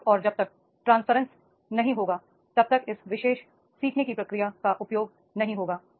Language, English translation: Hindi, Unless and until the transparency is not there, then there will be no use of this particular process, learning process